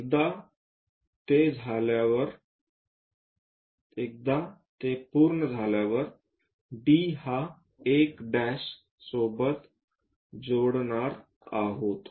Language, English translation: Marathi, Once it is done, join D with 1 prime and so on